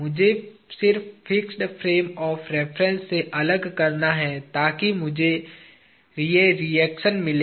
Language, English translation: Hindi, I just have to remove from the fixed frame of reference, so that I get these reactions